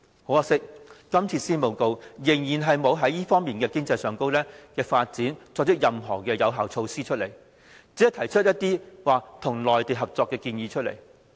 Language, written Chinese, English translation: Cantonese, 可惜的是，這份施政報告依然沒有就這方面的經濟發展，提出任何有效措施，只是提出一些與內地合作的建議。, It is regrettable that this Policy Address has yet to suggest effective measure with regard to this aspect of economic development as it puts forth proposals only on collaboration with the Mainland